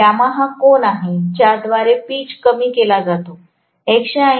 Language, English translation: Marathi, Where gamma is the angle by which the pitch is shortened